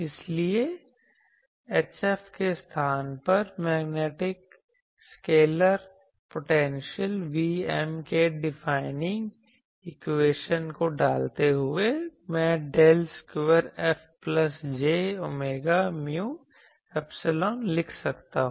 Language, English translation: Hindi, So, putting now the defining equation of the magnetic scalar potential Vm in place of H F, I can write del square F plus j omega mu epsilon